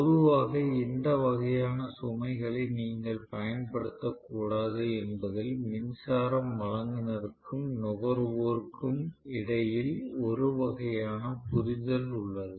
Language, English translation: Tamil, So, generally, there is kind of an understanding existing between the electricity supply provider and the consumer saying that you cannot use this loads